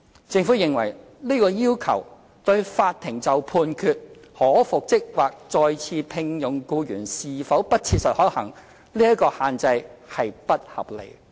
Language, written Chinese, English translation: Cantonese, 政府認為，這個要求會限制法庭判決如僱主將僱員復職或再次聘用僱員是否不切實可行，這項限制並不合理。, Such a requirement is over - demanding . The Government opines that the requirement will restrict the courts decision as to whether it is not practicable for the employer to reinstate or re - engage the employee and such a restriction is unreasonable